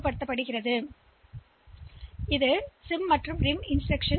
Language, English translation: Tamil, Now this is SID this SID, SIM and RIM instruction